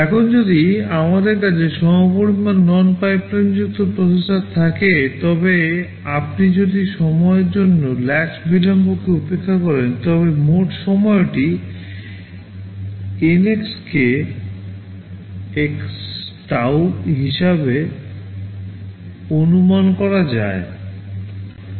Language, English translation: Bengali, Now, if we have an equivalent non pipelined processor, if you ignore the latch delays for the time being, then the total time can be estimated as N x k x tau